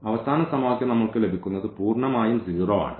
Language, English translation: Malayalam, Because from the last equation we are getting 0 is equal to minus 6